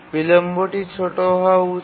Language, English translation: Bengali, The latency should be small